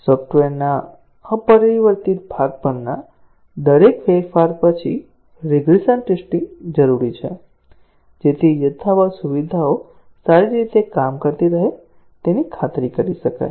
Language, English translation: Gujarati, The regression testing is needed after every change on the unchanged part of the software, to ensure that the unchanged features continue to work fine